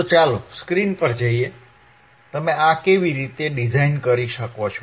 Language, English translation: Gujarati, So, let us see on the screen, how it how you can design this